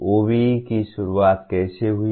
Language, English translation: Hindi, How did OBE start